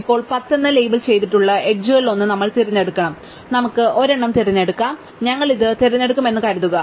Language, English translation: Malayalam, Now, we have to pick one of the edges labelled 10, we can pick any one, so let us assume that we pick this one